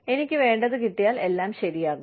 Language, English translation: Malayalam, If I get, what I want, all is okay